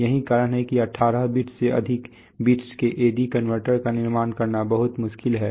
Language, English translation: Hindi, So that is why it is very difficult to construct A/D converters of number of bits more than, you know, 18 maybe